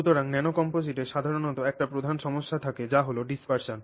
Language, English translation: Bengali, So, nanocomposite typically has one major issue that is dispersion